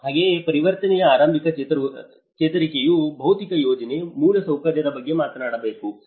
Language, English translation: Kannada, Similarly, the early recovery in transition one has to talk about the physical planning, the infrastructure